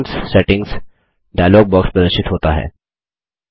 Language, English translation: Hindi, The Accounts Settings dialog box appears